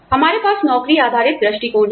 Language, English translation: Hindi, We have job based approaches